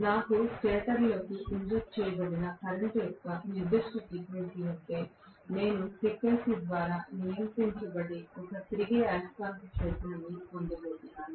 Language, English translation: Telugu, If I have a particular frequency of current injected into the stator, I am going to get a revolving magnetic field which is governed by the frequency